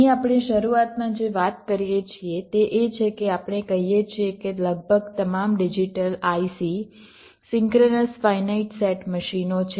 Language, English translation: Gujarati, ok here, what we talk about at the beginning is that we say that almost all digital i c's are synchronous finite set machines